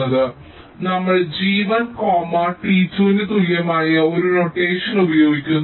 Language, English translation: Malayalam, so we use a notation like this: g one comma, t equal to two